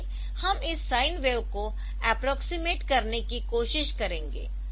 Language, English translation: Hindi, So, we will try to approximate this sine wave